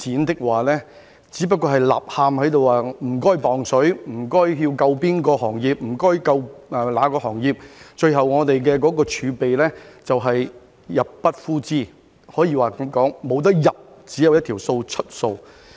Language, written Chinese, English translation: Cantonese, 有人不斷在吶喊："請派錢"、"請救哪個行業"，最後我們的儲備便會入不敷支，可以說是沒有收入，只有一項支出的數字。, Some people keep shouting Please hand out money or Please save that industry . In the end we will not have sufficient fiscal reserves to cover our expenses . I would say we will not have any income but just an expenditure figure